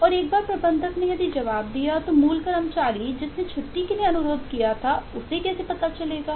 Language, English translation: Hindi, and once the manager rrr responded, how will the original eh employee who had requested for the leave will get to know